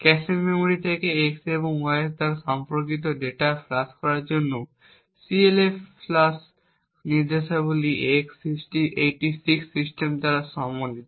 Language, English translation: Bengali, The CLFLUSH instructions is supported by x86 systems to flush the data corresponding to x and y from the cache memory